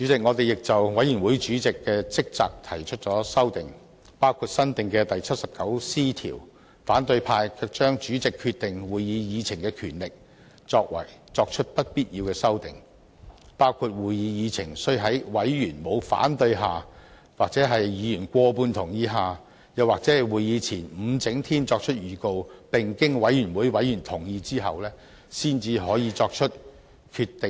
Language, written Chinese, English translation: Cantonese, 我們亦就委員會主席的職責提出修訂，包括新訂第 79C 條，可是反對派卻對主席決定會議議程的權力作出不必要的修訂，包括會議議程須在委員沒有反對下或在委員過半數同意下，又或在會議前5整天作出預告，並經委員會委員同意後，才能作出決定。, We have also proposed amendments on the duties of chairmen of committees including adding the new Rule 79C . However opposition Members have proposed unnecessary amendments to the power of chairmen of committees to determine the agenda of a meeting including the agenda of a meeting shall be determined only if there is no opposition by members of the committee or if there is consent by more than half of all of its members or that notice is given before five clear days of the meeting and with the consent of members of the committee